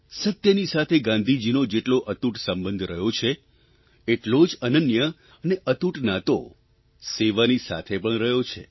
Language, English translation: Gujarati, Gandhiji shared an unbreakable bond with truth; he shared a similar unique bond with the spirit of service